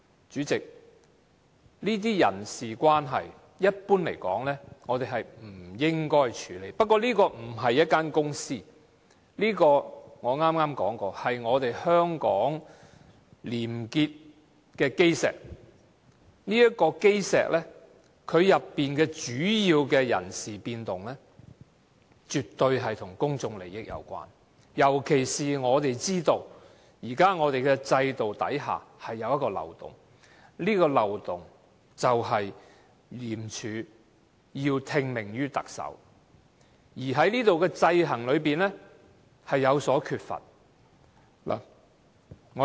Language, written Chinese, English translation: Cantonese, 主席，一般而言，這些人事關係，我們是不應該處理的，不過，這並不是一間公司，而正如我剛才已經說過，這是香港廉潔的基石，這個基石裏面的主要人事變動，絕對跟公眾利益有關，尤其是我們知道，現時制度之下有一個漏洞，而這個漏洞便是廉署要聽命於特首，而當中的制衡卻有所缺乏。, President generally speaking we should not deal with such personnel affairs . However ICAC is not a company . As I said earlier it is the cornerstone of probity in Hong Kong so any major personnel changes involving this cornerstone are definitely related to the public interest especially when we know that there is a loophole in this system ICAC is accountable to the Chief Executive without any checks and balances